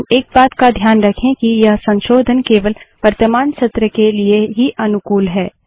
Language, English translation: Hindi, But, remember one thing that these modifications are only applicable for the current session